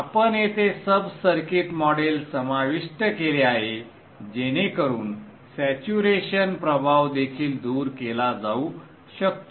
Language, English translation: Marathi, We have included a sub circuit model here so that even saturation effects can be taken care of